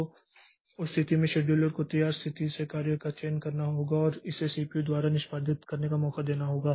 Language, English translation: Hindi, So, in that case the scheduler has to select a job from the ready state and give it a chance for execution by the CPU